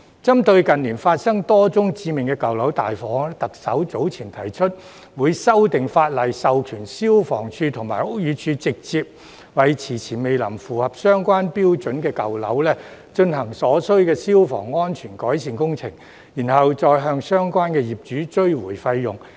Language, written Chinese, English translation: Cantonese, 針對近年發生多宗致命舊樓大火，特首早前提出會修訂法例，授權消防處和屋宇署直接為遲遲未能符合相關標準的舊樓進行所需消防安全改善工程，然後再向相關業主追回費用。, In view of a number of major fatal fires that have occurred in old buildings in recent years the Chief Executive has earlier proposed to amend legislation to authorize FSD and the Buildings Department to directly carry out the required fire safety improvement works in the old buildings where there has been a long delay in meeting the relevant standards and then recover the costs incurred from the relevant owners